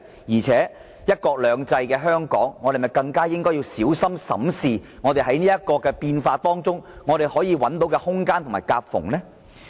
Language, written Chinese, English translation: Cantonese, 再者，實行"一國兩制"的香港，是否應要更小心審視在這個變化中可找到的空間和夾縫呢？, Furthermore as a city under one country two systems Hong Kong should be extra careful when seeking to explore how and where it can gain from this change shouldnt it?